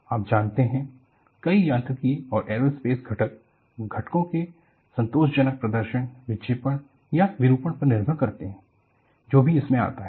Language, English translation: Hindi, You know, for many of this mechanical and aerospace components, the satisfactory performance of the component depends on deflection or deformation, whatever that comes across